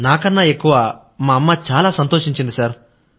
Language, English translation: Telugu, My mother was much happier than me, sir